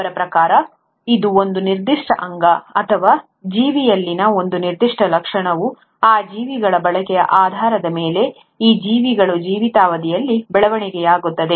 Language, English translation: Kannada, According to him, it is the, a particular organ, or a particular feature in an organism develops during the lifetime of that organism based on the usage of that organism